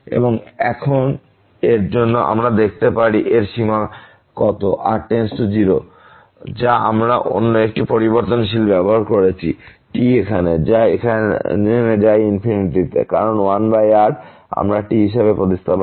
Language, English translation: Bengali, And now for this we can look at what is the limit of this as goes to 0 of this 2 power 1 over square 4, which we have this used another variable here, which goes to infinity; because 1 over we are substituting as